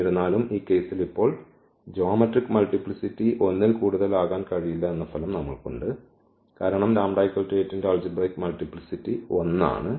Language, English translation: Malayalam, Though, we have already the result that the eigen the geometric multiplicity cannot be more than 1 now in this case, because the algebraic multiplicity of this lambda is equal to 8 is 1